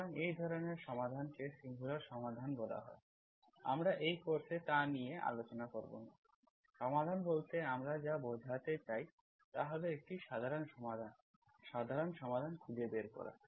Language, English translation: Bengali, So such a solution is called singular solutions, we do not deal in this course, we only want, what we mean by solution is a general solution, finding the general solution